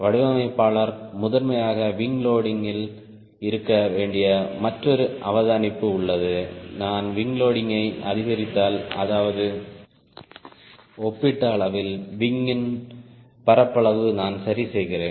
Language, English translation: Tamil, is there another ah ah observation which designer need to have prairie on wing loading is: if i increase ah wing loading, that means relatively ah ah the area of the wing i am reducing